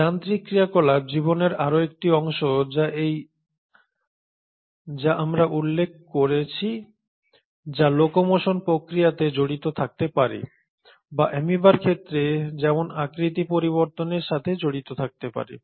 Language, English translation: Bengali, Mechanical activity is another part of life as we mentioned which may either be involved in the process of locomotion or in this case of amoeba such as shape change